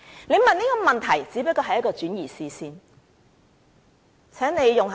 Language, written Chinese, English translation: Cantonese, 他們問這個問題，只是在轉移視線而已。, The purpose of raising the issue is just to divert attention